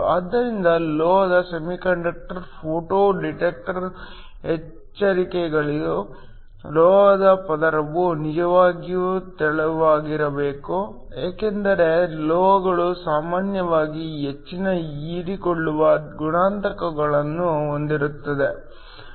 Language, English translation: Kannada, So, In the case of metal semiconductor photo detector, the caveats, the metal layer should be really thin because metals usually have very high absorption coefficients